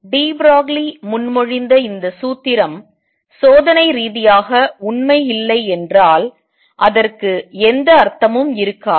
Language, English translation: Tamil, If this formula that de Broglie proposed was not true experimentally, it would have no meaning